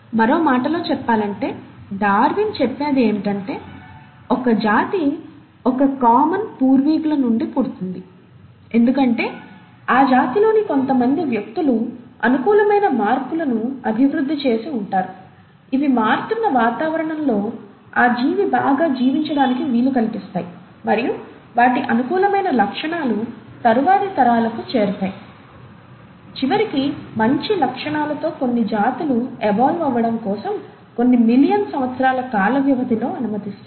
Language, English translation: Telugu, So, in other words, let me reiterate, what Darwin said was that a species arises from a common ancestors because certain individuals in that species would have developed modifications which are favourable, which allow that organism to survive better in the changing environment, and these favourable traits get passed on to subsequent generations, allowing eventually, over a time scale of a few million years for evolution of a newer species with better characteristics